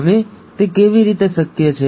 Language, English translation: Gujarati, Now how is that possible